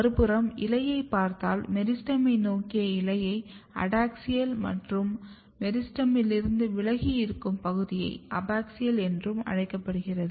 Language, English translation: Tamil, On the other hand if you look the leaf so, the leaf which is towards the meristem is a kind of adaxial and the portion which is away from the meristem is called abaxial